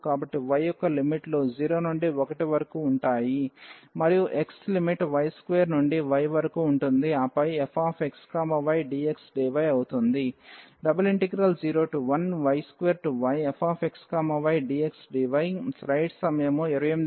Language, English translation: Telugu, So, for the limits of y will be 0 to 1 and limit of x will be y square to y and then f x y dy